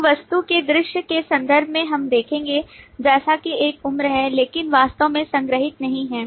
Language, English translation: Hindi, So in terms of the view of the object, we will see as if there is a age but there is nothing be actually stored